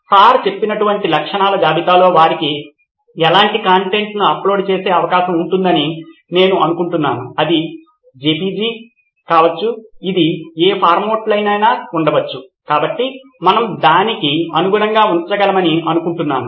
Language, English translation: Telugu, I think in the list of features like sir mentioned they would have the option to upload any kind of content, it could be JPEG, it could be in any format, so I think we should be able to accommodate that